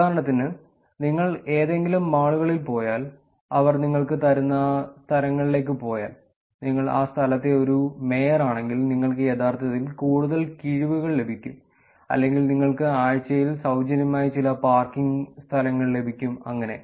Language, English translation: Malayalam, For example, if you go to any malls, if you go to places they are actually giving you and if you are a mayor of that location you can actually get more discounts or you can actually get some parking spots free for a week or so